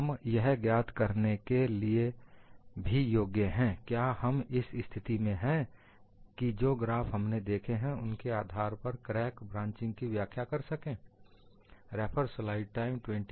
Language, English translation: Hindi, We must also be able to find out are we in a position to explain the crack branching based on whatever the graphs that we have seen